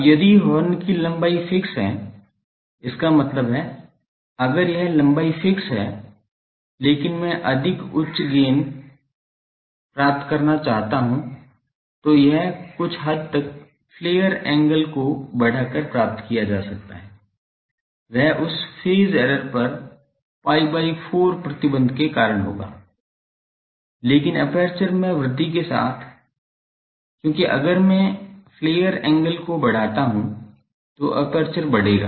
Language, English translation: Hindi, Now, if the horn length is fixed; that means, if this length is fixed, but I want to have more higher gain, than it can be obtained by increasing the flare angle to some extent, that will cause that pi by 4 restriction on the phase error, but with the increase in the aperture, because if I increase the flare angle aperture will increase